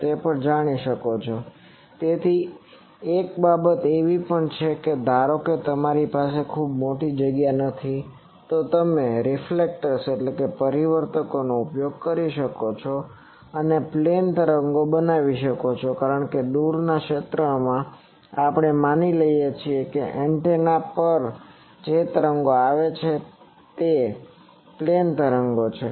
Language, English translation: Gujarati, So, also so that is why also there is a thing that suppose you do not have a very large space, you can use reflectors and make plane waves because, in far field actually we assume that the waves that are coming on the antenna those are plane waves